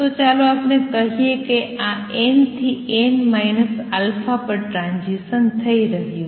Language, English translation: Gujarati, Let us say this is transition taking place from n n minus alpha